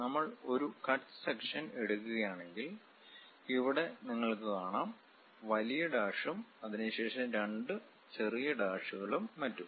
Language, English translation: Malayalam, If we are taking a cut section; here you can see, long dash followed by two small dashes and so on